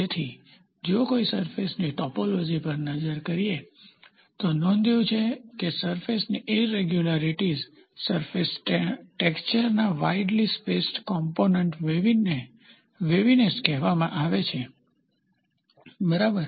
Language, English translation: Gujarati, So, if one takes a look at the topology of a surface, one can notice it that surface irregularities are superimposed on a widely spaced component of surface texture called waviness, ok